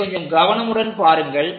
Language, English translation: Tamil, So, let us look at it carefully